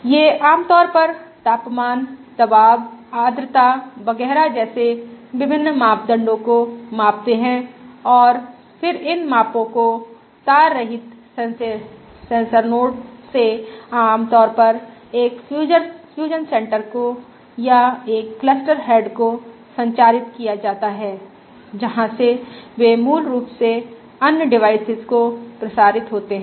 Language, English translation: Hindi, They typically estimate, they typically measure various parameters such as temperature, pressure, humidity, et cetera, and then these measurements are communicated over the wireless sensor nodes typically to a cluster head, typically to a fusion Centre or a cluster head, from which they are disseminated to basically other um other devices